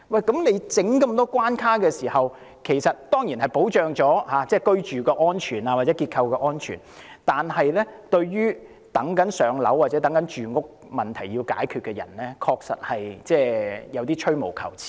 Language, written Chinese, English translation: Cantonese, 設立這麼多關卡，當然可以保障居住或結構安全，但對於正在輪候入住公屋或想解決住屋問題的人，我覺得確實有點兒吹毛求疵。, By establishing so many guard posts of course home safety or structural safety can be ensured . To people waiting to move into public housing or wanting to solve their housing problems however I think such procedures really amount to nit - picking